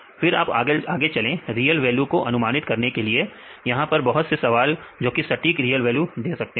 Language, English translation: Hindi, Then you go with the real value prediction here there are various problems which can give exact real value